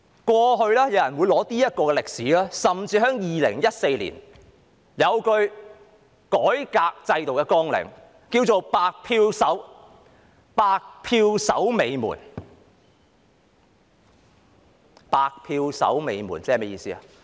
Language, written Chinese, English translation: Cantonese, 過去有人會借用這段歷史，甚至2014年有一句改革制度的綱領是"白票守尾門"，是甚麼意思呢？, In the past some people would draw reference from this piece of history . In 2014 there was even an advocacy for reforming the system which was blank - vote veto . What does it mean?